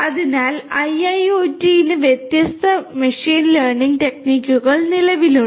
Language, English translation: Malayalam, So, for IIoT there are different machine learning techniques in place